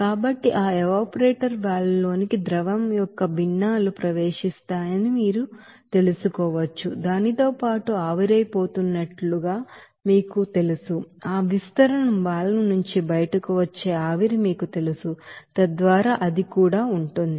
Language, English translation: Telugu, So this you know fractions of liquid will be entering to that evaporator valve which will be you know evaporated along with that, you know vapor which is coming out from that expansion valve, so that also will be there